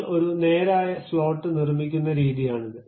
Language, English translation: Malayalam, This is the way you construct a straight slot